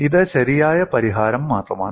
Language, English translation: Malayalam, And this is only the correct solution